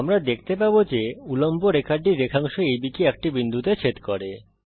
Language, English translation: Bengali, We see that the perpendicular line intersects segment AB at a point